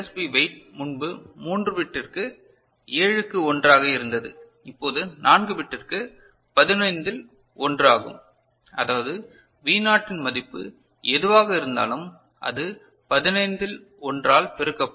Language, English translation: Tamil, And the LSB weight earlier it was 1 upon 7 for the 3 bit case, now 4 bit case it is 1 upon 15 that is whatever the V naught value it will be multiplied by 1 upon 15 right, this is fine